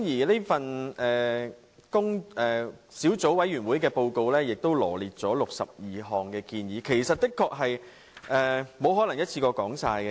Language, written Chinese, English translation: Cantonese, 這份小組委員會報告羅列了62項建議，我的確沒有可能一下子說完。, Since this Report of the Subcommittee contains 62 recommendations it is impossible for me to voice my views on them at one sitting